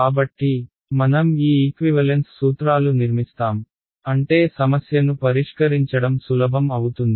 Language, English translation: Telugu, So, we will construct these equivalence principles such that the problem becomes easier to solve ok